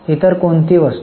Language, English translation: Marathi, What other items